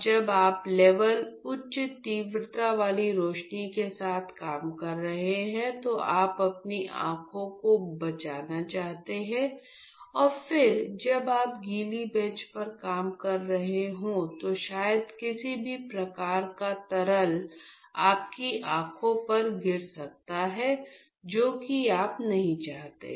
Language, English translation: Hindi, So, now when you are just doing with high intensity lights you want to protect your eyes from all of that you could use these type of glasses and then when you are working at wet bench, then maybe you do not want any sort of liquid we just flies and then it could sputter and then fall onto your eyes